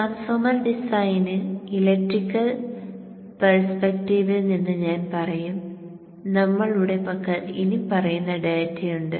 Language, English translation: Malayalam, So in the transformer design on the electrical side I should say from the electrical perspective, we have the following data with us